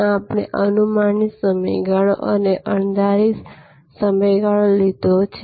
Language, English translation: Gujarati, There we have taken predictable duration and unpredictable duration